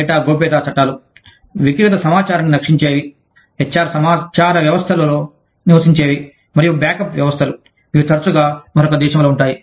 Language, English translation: Telugu, Data privacy laws, that protect personal information, residing in HR information systems, and the backup systems, which are often in another country